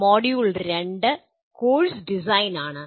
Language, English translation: Malayalam, Module 2 is “Course Design”